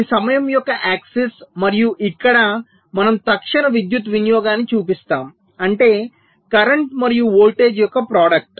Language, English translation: Telugu, this is the access of time and here we show the instantaneous power consumption, which means the, the product of the current and the voltage